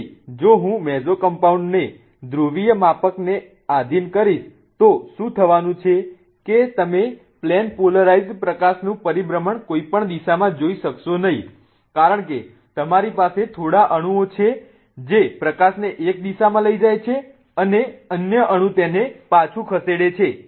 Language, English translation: Gujarati, So, if I subject a mesocompound to to a polarimeter for example what is going to happen is that you will not see the rotation of plane polarized light in either direction because you have few molecules moving the light towards one direction the other ones will move it back